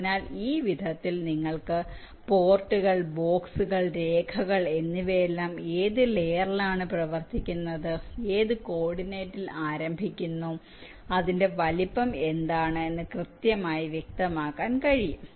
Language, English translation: Malayalam, so in this way you have some primitives for the ports, the boxes, lines, everything where you can exactly specify which layer it is running on, what is it starting coordinate and what is it size